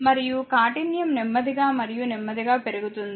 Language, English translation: Telugu, And hardness will slowly and slowly will increase